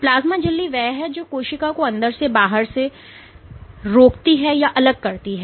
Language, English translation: Hindi, So, the plasma membrane is that which prevents or separates the inside of the cell from the outside